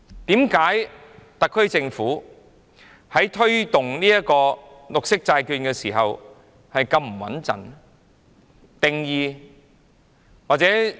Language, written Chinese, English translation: Cantonese, 為何特區政府在推動綠色債券時，做法會這麼不穩妥？, Why does the SAR Government work in such a precarious manner in the promotion of green bonds?